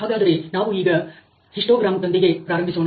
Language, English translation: Kannada, So, let us start with the histogram